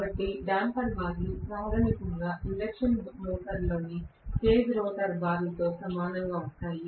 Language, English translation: Telugu, So, damper bars are basically similar to cage rotor bar in an induction motor